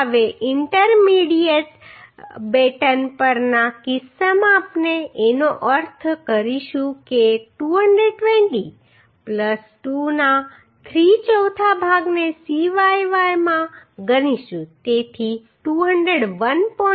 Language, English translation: Gujarati, Now in case on intermediate batten we will means will consider same that is 3 fourth of 220 plus 2 into cyy so that is becoming 201